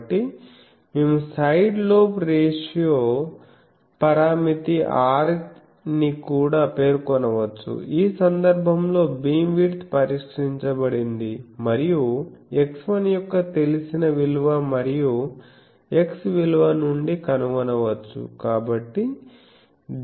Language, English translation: Telugu, So, we can also specify the side lobe ratio parameter R in which case the beam width is fixed and can be found from the known value of x 1 and the value of x